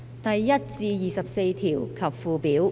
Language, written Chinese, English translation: Cantonese, 第1至24條及附表。, Clauses 1 to 24 and the Schedule